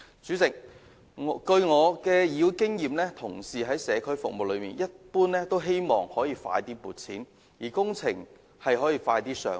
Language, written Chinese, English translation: Cantonese, 主席，根據我在議會的經驗，同事在社區服務方面一般都希望更快獲得撥款，以及工程可以加快"上馬"。, President based on my experience in Council work colleagues generally hope to expedite the funding approval for community services as well as the launch of relevant works